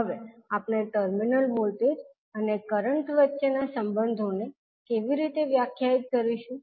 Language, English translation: Gujarati, Now, how we will define the relationships between the terminal voltages and the current